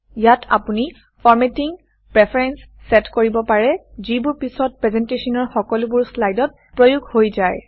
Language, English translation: Assamese, You can set formatting preferences here, which are then applied to all the slides in the presentation